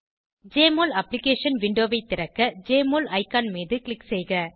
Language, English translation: Tamil, Click on the Jmol icon to open the Jmol Application window